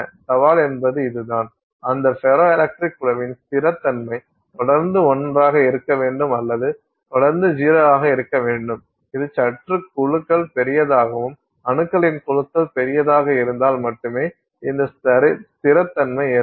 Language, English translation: Tamil, The challenge is this, it turns out that the stability of that ferroelectric group for it to stay consistently as one or for it to stay consistently as zero, it turns out that this stability happens to occur only if you have slightly larger groups, larger groups of atoms